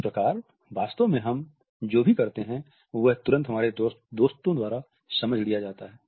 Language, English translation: Hindi, Now, what exactly do we pass on, is immediately understood by our friends